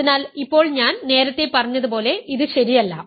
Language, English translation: Malayalam, So, now, in general as I told you earlier this is not true